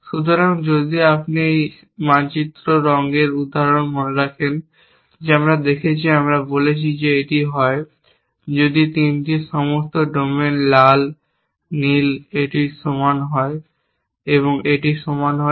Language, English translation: Bengali, So, if you remember this map coloring example that we saw, we said that if this is, if the domains of all 3 are red, blue and this is not equal to this, and this is not equal to this